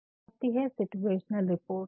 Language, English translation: Hindi, Then comes situational reports